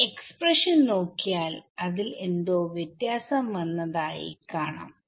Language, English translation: Malayalam, Look at this expression and this expression, is there something common